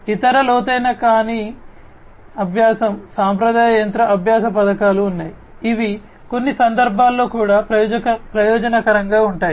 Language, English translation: Telugu, There are other non deep learning, the traditional machine learning schemes, which are also advantageous in certain contexts